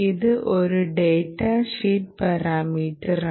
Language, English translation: Malayalam, again, it is a data sheet parameter